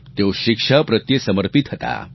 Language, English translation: Gujarati, He was committed to being a teacher